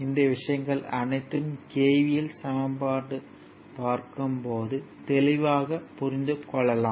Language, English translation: Tamil, Later when see when we will go for KVL equation we will see that, right